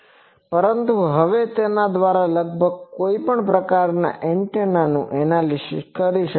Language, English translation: Gujarati, But now almost any type of antenna can be analyzed with this